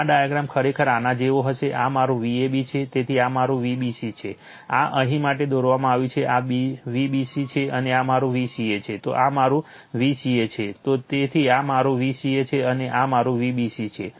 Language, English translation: Gujarati, This diagram actually it will be like this, this is my V bc, so this is my V bc this is drawn for here, this is V bc and this is my V ca, so this is my V ca this one, so this is my V ca and this is my V bc and this b